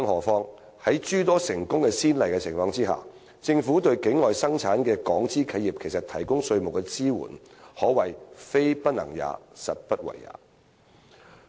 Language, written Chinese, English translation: Cantonese, 況且，在有諸多成功先例的情況下，政府對境外生產的港資企業提供稅務支援，可謂"非不能也，實不為也"。, After all in view of the numerous successful precedents giving tax support to Hong Kong enterprises with production lines outside Hong Kong is not something that cannot be done . It is just that the Government refuses to get things done